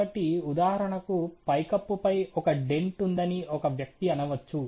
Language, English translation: Telugu, So, a person may say that there is a dent on the roof for example